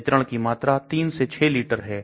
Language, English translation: Hindi, Volume of distribution is 3 to 6 liters